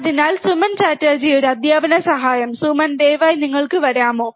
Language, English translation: Malayalam, So, Suman Chatterjee he is a teaching assistance, Suman, please can you please come